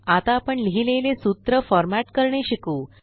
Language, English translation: Marathi, Now let us learn how to format the formulae we wrote